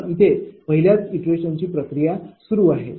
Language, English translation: Marathi, Similarly, first iteration is continuing